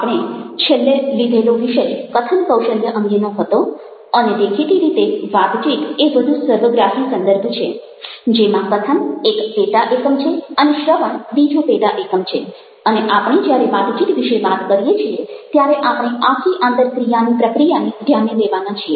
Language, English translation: Gujarati, in the last topic that we have taken up was on speaking skills, and conversation, obviously, is a more holistic context within which speaking is a subset and listening is another subset, and the entire interaction process is something which we are taking place into an account